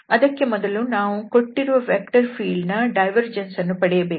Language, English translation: Kannada, For that we need to get the divergence of this given vector field